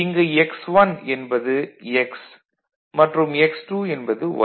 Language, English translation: Tamil, So, basically x1 is your x and x2 is your y that is way you are doing it